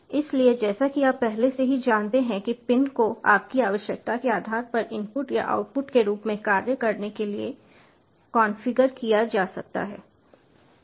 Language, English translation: Hindi, so, as you already know, the pins can be configured to act as input or output, depending on your requirement